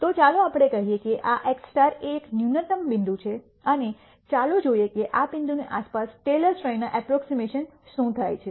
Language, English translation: Gujarati, So, let us say this x star is the minimum point and let us see what happens to this Taylor series approximation around this point